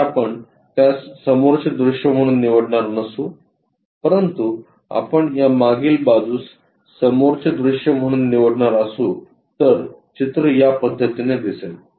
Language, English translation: Marathi, If we are not picking that one as the front view, but if you are picking this back side one as the front view, the way figure will turns out to be in this way